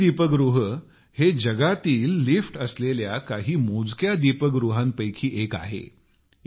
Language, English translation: Marathi, For example, Chennai light house is one of those select light houses of the world which have elevators